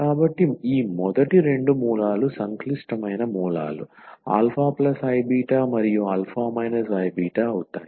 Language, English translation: Telugu, So, these first two roots are the complex roots alpha plus i beta and alpha minus I beta